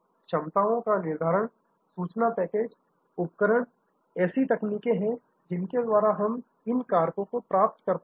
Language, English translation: Hindi, The capacity determination, information packages, equipment, these are the ways actually we achieve these factors